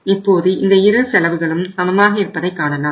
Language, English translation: Tamil, So you see both the costs are equal